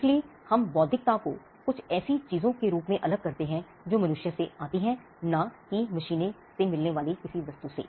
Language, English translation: Hindi, So, we distinguish intellectual as something that comes from human being, and not something that comes from machines